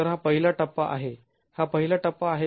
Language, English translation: Marathi, So this is the first stage